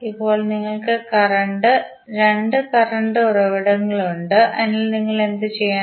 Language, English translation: Malayalam, Now, you have now two current sources, so what you have to do